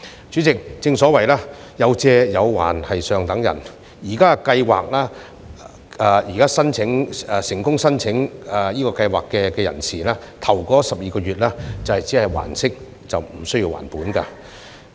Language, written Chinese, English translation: Cantonese, 主席，正所謂"有借有還是上等人"，現時計劃下成功申請的人士在首12個月只需要還息，無須還本。, President as the Chinese saying goes People with integrity always repay their loans . At present successful applicants of PLGS are only required to pay interests without repaying the principal amounts of their loans for the first 12 months